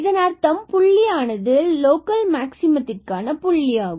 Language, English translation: Tamil, So, this is a point of local maximum